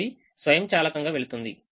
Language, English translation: Telugu, this automatically goes